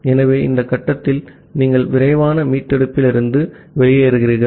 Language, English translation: Tamil, So, at this stage, you exit from the fast recovery